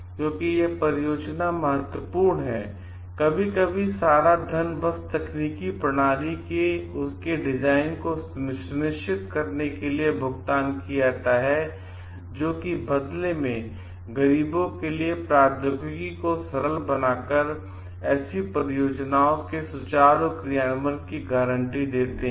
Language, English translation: Hindi, Because of this project is important, sometimes lots of money is just paid to ensure that their designing of the technical system, which in turn guarantee the smooth execution of such projects by simplifying the technology for the poor